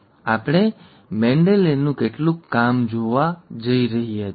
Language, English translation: Gujarati, We are going to review, we are going to see some of Mendel’s work